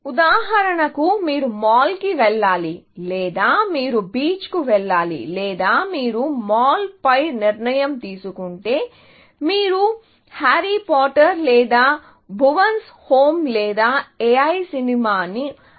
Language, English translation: Telugu, For example, you have to either, go to the mall or you have to go to the beach, or if you had decided upon the mall, then you have to either, choose Harry Potter or Bhuvan’s Home or A I, the movie, essentially